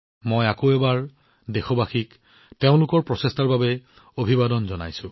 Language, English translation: Assamese, I once again salute the countrymen for their efforts